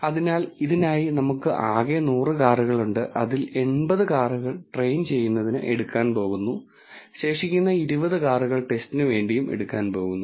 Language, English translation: Malayalam, So, for this we have 100 cars in total, out of which 80 cars is going to be taken as train and the remaining 20 cars is going to be taken as test